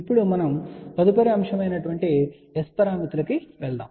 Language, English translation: Telugu, Now, we are going to the next particular topic which is S parameters